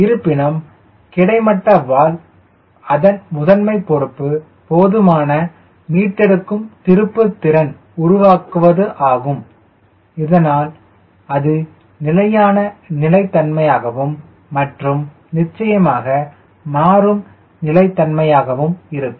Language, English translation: Tamil, however, the horizontal tail, its primary responsibility is to produce enough restoring moment so that it is statically stable and of course dynamically also stable